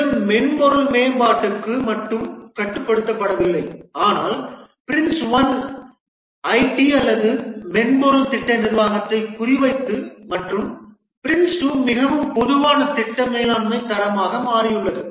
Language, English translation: Tamil, This is not restricted to only software development, but the Prince one was more targeted to the IT or software project management and Prince 2 is become a more generic project management standard